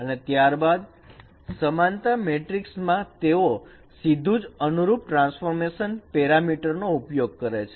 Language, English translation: Gujarati, Then the corresponding no translation parameters they are used directly in the similarity transformation matrix